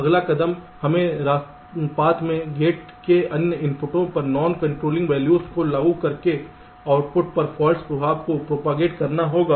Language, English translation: Hindi, ok, next step, we have to propagate the fault effect to the output by applying non controlling values to the other inputs of gate along the path